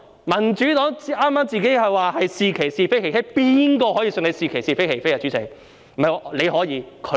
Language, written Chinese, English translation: Cantonese, 民主黨剛才說自己"是其是，非其非"，誰會相信他們"是其是，非其非"，主席嗎？, Just now the Democratic Party has claimed that they would affirm what is right and condemn what is wrong who will believe that they would affirm what is right and condemn what is wrong?